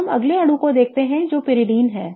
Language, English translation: Hindi, Now, let us look at the next molecule that is pyridine